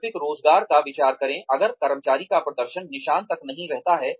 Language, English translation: Hindi, Consider alternative employment, if the employee's performance continues to not be up to the mark